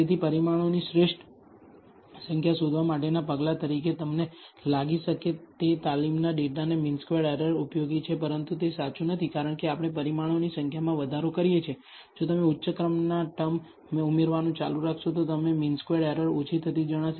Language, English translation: Gujarati, So, the mean squared error of the training data you might think is useful as a measure for finding the optimal number of parameters, but that is not true because as we increase the number of parameters, if you keep adding higher order terms, you will find the mean squared error decreases